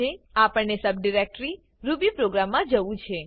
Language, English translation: Gujarati, We need to go to the subdirectory rubyprogram